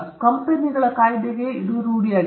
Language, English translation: Kannada, The Companies Act has a norm for it